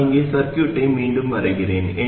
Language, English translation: Tamil, I will redraw the circuit here